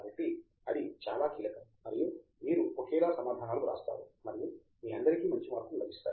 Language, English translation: Telugu, So that is the key and you write similar answers and you all get good marks